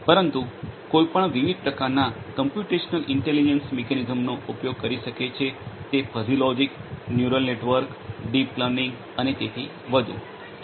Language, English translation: Gujarati, But one could use any of the different types of computational intelligence mechanisms based on may be fuzzy logic, neural networks, deep learning and so on